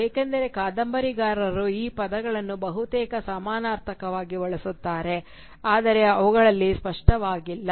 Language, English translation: Kannada, Because the novelist seems to use these terms almost as synonymous, though they are evidently not